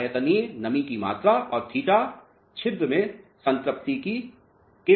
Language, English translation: Hindi, The volumetric moisture content and theta is equal to porosity into saturation